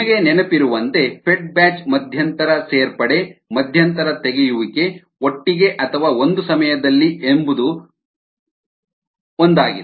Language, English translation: Kannada, as you recall, fed batch is nothing but intermittent condition, intermittent removal together or one at a time